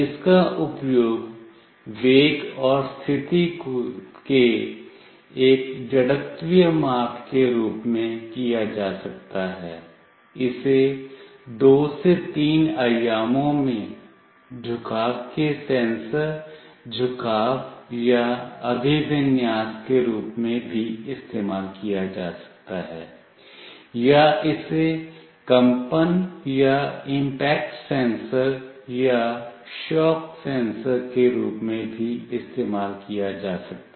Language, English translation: Hindi, It can be used as an inertial measurement of velocity and position, it can be also used as a sensor of inclination, tilt, or orientation in 2 to 3 dimensions, or it can also used as a vibration or impact sensor, or shock sensor